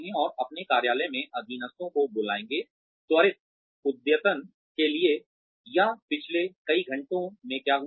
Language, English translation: Hindi, And, call subordinates to their office, for a quick update on, how things have happened, or what has happened in the past several hours